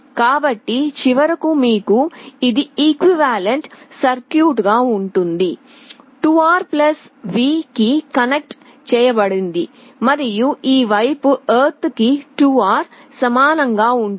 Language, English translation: Telugu, This is the equivalent circuit 2R connected to +V and this side equivalently 2R to ground